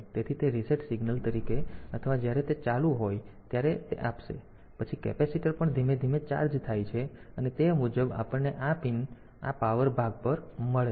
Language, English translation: Gujarati, So, that will be giving as reset signal or when it is switched on; then also the capacitor slowly gets charged and accordingly we get this pin this power on part